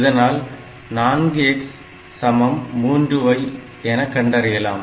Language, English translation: Tamil, So, we have got 4 x equal to 3 y